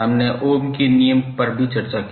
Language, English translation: Hindi, We also discussed the Ohm’s Law